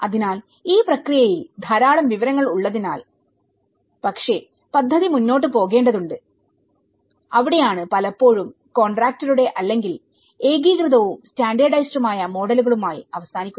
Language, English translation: Malayalam, So, in this process, because there is a hell lot of information but then the project has to move on and that is where it often end up with a kind of contractor driven or an uniform and standardized models of it